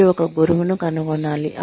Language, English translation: Telugu, You need to find a mentor